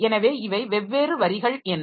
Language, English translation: Tamil, So, these are the two different operations